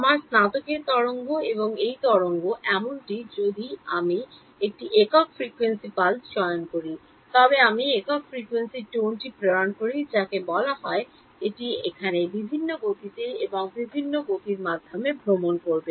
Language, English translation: Bengali, So, this wave and this wave even if I choose a single frequency pulse I send the single frequency tone as it is called it will travel at different speeds here and at different speeds over here